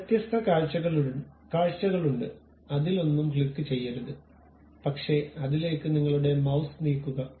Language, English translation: Malayalam, There are different views uh do not click anything, but just move your mouse onto that